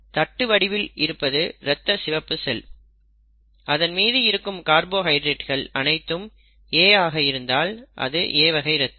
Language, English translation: Tamil, So if this is the red blood cell disc shaped red blood cell, if it has all A carbohydrates being expressed then it is blood group A